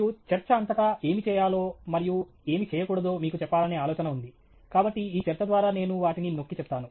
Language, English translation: Telugu, And throughout the talk, the idea is to tell you what to do and what not to do; so, that’s what I will highlight through this talk